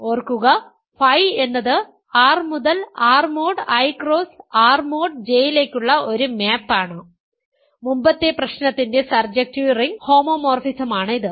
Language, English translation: Malayalam, Remember, phi is a map from R to R mod I cross R mod J; it is a surjective ring homomorphism by the previous problem